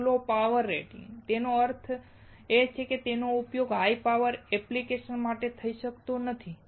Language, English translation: Gujarati, One low power rating; that means, it cannot be used for high power applications